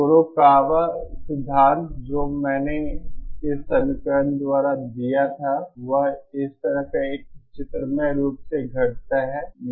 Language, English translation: Hindi, The Kurokawa theory which I gave by this equation reduces to a graphical form like this